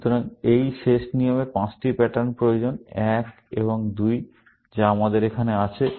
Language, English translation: Bengali, So, this last rule needs five patterns; one and two, which we have here